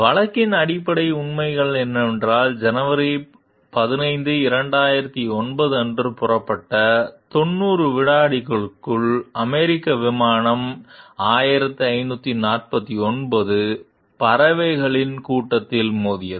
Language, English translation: Tamil, The basic facts of the case are that within 90 seconds after takeoff on January 15, 2009, US Air Flight 1549 collided with a flock of birds